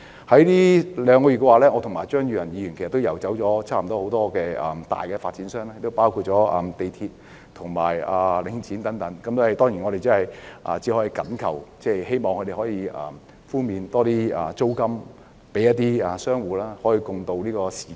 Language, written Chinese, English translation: Cantonese, 最近兩個月，我和張宇人議員已游走多間大發展商及業主，包括香港鐵路有限公司和領展，我們只能懇求及希望他們能寬免租戶的租金，與他們共渡時艱。, In the last two months Mr Tommy CHEUNG and I have visited a number of large developers and landlords including the MTR Corporation Limited MTRCL and Link REIT . We could only implore them to offer rental concessions to tenants tiding over the difficult times together